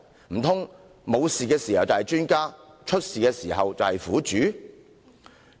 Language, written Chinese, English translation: Cantonese, 難道沒事發生時是專家，出事時就是苦主？, Is she a professional in good days but a victim should something happen?